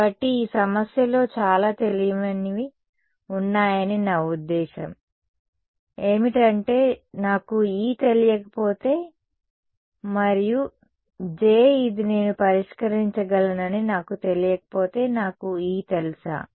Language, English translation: Telugu, So, what can we I mean there are too many unknowns in this problem if I do not know the if I do not know E also and J this know I can solve it, but do I know E